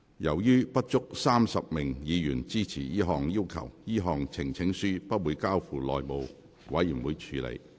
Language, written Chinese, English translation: Cantonese, 由於不足35名議員支持這項要求，這項呈請書不會交付內務委員會處理。, Since there are less than 35 Members supporting the request the petition will not be referred to the House Committee